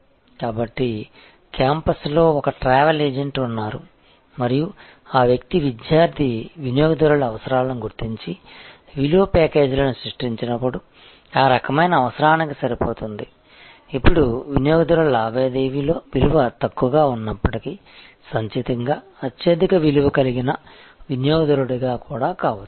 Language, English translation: Telugu, So, there is a travel agent on the campus and it is when that person that company recognizes the kind of requirements of the student customers and create value packages, matching that kind of requirement, then even a low per transaction value customer can become a very high value customer cumulatively